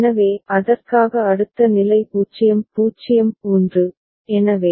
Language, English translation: Tamil, So, for that the next state is 0 0 1